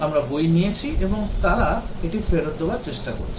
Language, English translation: Bengali, We have taken book and they are trying to return it